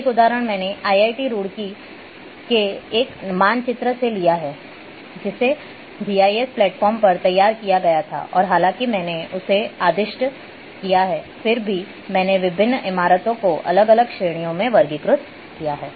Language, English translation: Hindi, An example I have taken from a map of IIT Roorkee, which was prepared on GIS platform and I have categorized different buildings, in different categories though I have ordered them